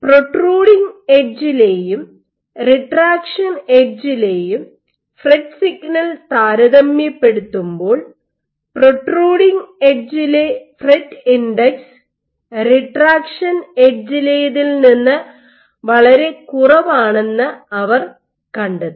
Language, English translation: Malayalam, What they found was compared to the protruding edge and the retraction edge when they com compared the FRET signal they found that the protruding edge the fret index was lot less compared to the retraction edge